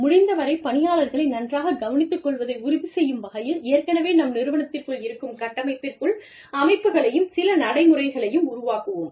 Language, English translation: Tamil, We will build, systems and procedures, within our existing framework, to ensure that, the employees are looked after, as well as possible